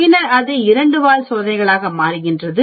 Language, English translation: Tamil, Then it becomes a two tailed tests